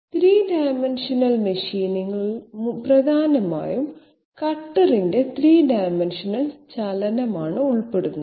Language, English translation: Malayalam, 3 dimensional machining essentially involves 3 dimensional movement of the cutter okay